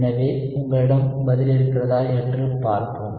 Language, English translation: Tamil, So, let us see if you have the answer